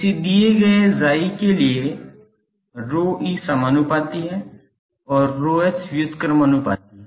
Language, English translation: Hindi, That for a given chi rho e is proportional and rho h is inversely proportional